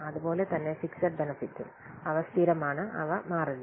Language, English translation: Malayalam, So, similarly fixed benefits they are also constant and they do not change